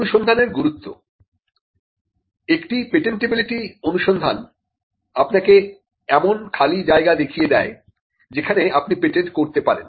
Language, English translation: Bengali, A patentability search allows you to identify the white spaces where you can patent